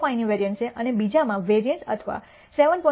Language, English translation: Gujarati, 05 and the other has a variability or a variance of 7